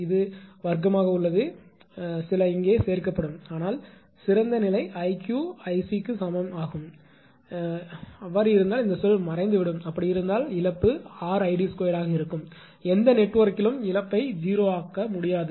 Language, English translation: Tamil, It is square some component will be added here, but ideal condition i q equal i c means this term will vanish; that means, if it is so, then loss will be R Id square; that mean loss in any network cannot be made to 0